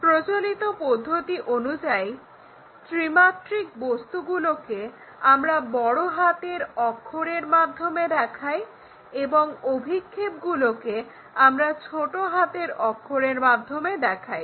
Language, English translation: Bengali, Our standard convention is this three dimensional kind of objects we show it by capital letters and projections by small letters